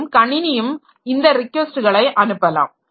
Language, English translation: Tamil, And other computers may also send these requests